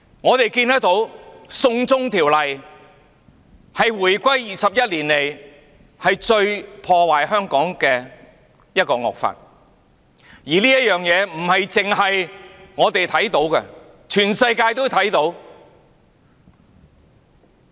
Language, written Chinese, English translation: Cantonese, 我們看到"送中條例"是回歸21年來對香港造成最大破壞的惡法，而這件事不單是我們看得見，全世界也看得見。, Tell me how evil and malicious she is! . How unfortunate it is to Hong Kong! . We can see that the China extradition law is an evil law most destructive to Hong Kong over the past 21 years since the reunification and not only have we seen it but also the entire world has seen it